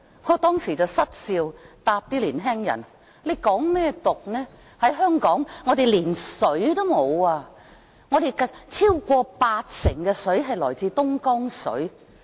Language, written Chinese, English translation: Cantonese, 我當時失笑回答年輕人，還說甚麼港獨，香港連水也沒有，我們超過八成食水來自東江水。, I broke into laughter then and replied to the young people As Hong Kong does not have water and over 80 % of our fresh water comes from the Dongjiang River how can we talk about Hong Kong independence?